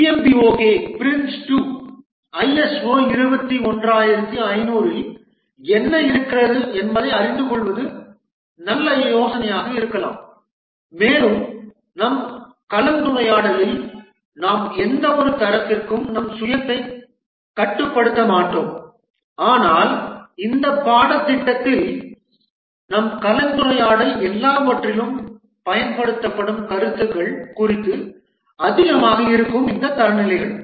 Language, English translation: Tamil, It may be a good idea to know what is involved in the PMBOK Prince 2, ISO 21,500 and in our discussion we will not restrict ourselves to any one standard, but our discussion in this course will be more on concepts that are used across all these standards